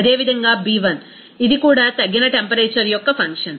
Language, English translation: Telugu, Similarly B1, it is also a function of only reduced temperature